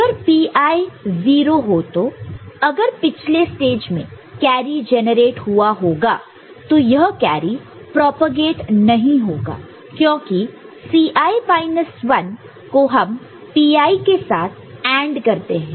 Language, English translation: Hindi, If P i is 0 then when if the carry is there in the previous stage it will not get propagated because C i C i minus 1 is ANDed with P i, ok